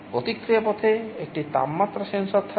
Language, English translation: Bengali, There will be a temperature sensor in the feedback path